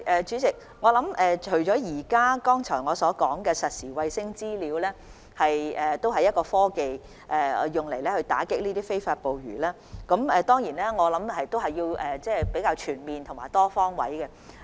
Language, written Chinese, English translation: Cantonese, 主席，我剛才提及的實時衞星資料是用來打擊非法捕魚的其中一種科技，我們還需要較全面的多方位措施。, President the real - time satellite data that I have just mentioned is one of the technologies used to combat illegal fishing . We still need more comprehensive and multifaceted measures